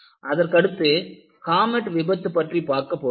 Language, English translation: Tamil, The another disaster which we will look at is the comet disaster